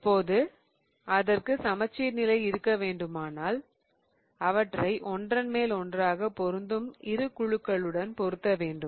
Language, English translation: Tamil, Now, in order for it to have a plane of symmetry, what we need to do is we need to match the two groups such that they overlap